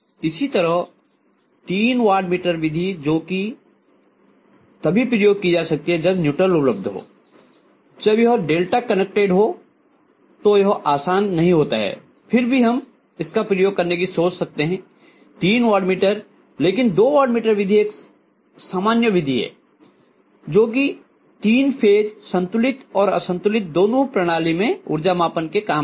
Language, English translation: Hindi, Similarly, three watt meter method which will also be used only if the neutral is available, otherwise it’s not going to be easy if it is delta connected we can still think of using this probably, three watt meter but two watt meter method is a very very common method which is used for using, used for measuring power in a three phases balanced as well as unbalanced system